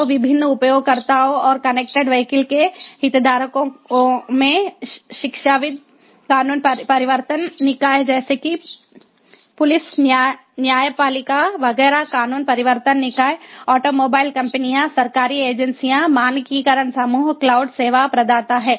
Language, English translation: Hindi, so the different users and the stake holders of connected vehicles include academia, law enforcement bodies like police, ah, you know judiciary, etcetera, law enforcement bodies, automobile companies, government agencies, standardization groups, cloud service providers